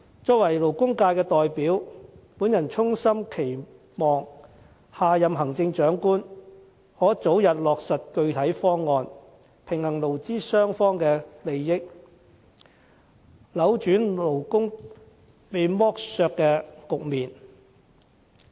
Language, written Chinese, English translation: Cantonese, 作為勞工界的代表，我衷心期望下任行政長官可早日落實具體方案，平衡勞資雙方的利益，扭轉勞工被剝削的局面。, As a representative of the labour sector I sincerely hope that the next Chief Executive can expeditiously work out a concrete proposal that can balance the respective interests of workers and employers and do away with this exploitation of workers